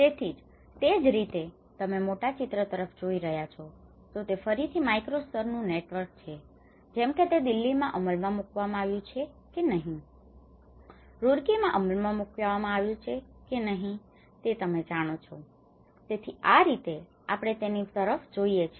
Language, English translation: Gujarati, So, similarly when you are looking at a larger picture that is again the macro level networks whether it has been implemented in Delhi, whether implemented in Roorkee you know so this is how we looked at it